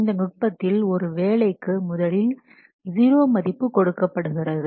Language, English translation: Tamil, So, in this technique, a tax is assigned a value of 0 first initially